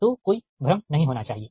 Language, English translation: Hindi, so only there should not be any confusion